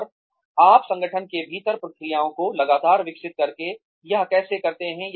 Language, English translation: Hindi, And, how do you do that, by constantly developing the processes within your organization